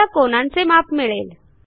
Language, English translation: Marathi, We see that the angles are measured